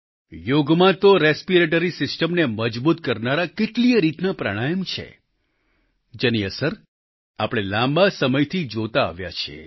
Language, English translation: Gujarati, In yoga, there are many types of Pranayama that strengthen the respiratory system; the beneficial effects of which we have been witnessing for long